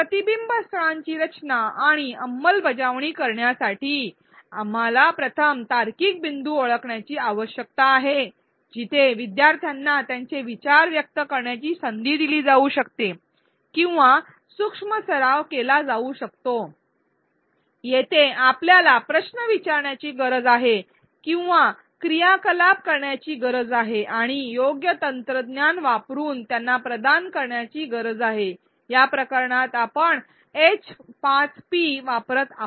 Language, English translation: Marathi, In order to design and implement reflection spots, we need to first identify the logical points where learners can be provided an opportunity to express their thinking or do micro practice, at these points we need to frame questions or activities and provide them using appropriate technology, in this case we are using H5P